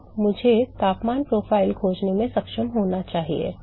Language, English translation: Hindi, So, I should be able to find the temperature profile right